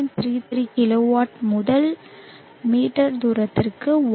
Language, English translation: Tamil, 33 kilowatt per meter square to 1